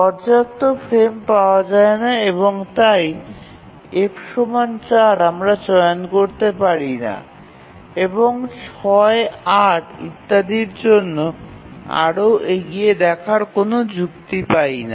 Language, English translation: Bengali, So not enough frames are available and therefore f equal to four we cannot choose and no point in looking further ahead, six, eight, etc